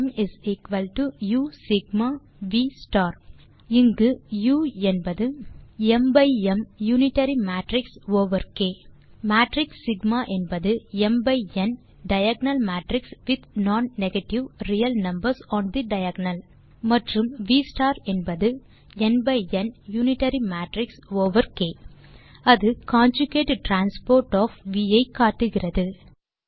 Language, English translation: Tamil, Then there exists a factorization of the form M = U Sigma V star where U is an unitary matrix over K, the matrix Sigma is an diagonal matrix and the non negative real numbers on the diagonal, and V* is an unitary matrix over K,which denotes the conjugate transpose of V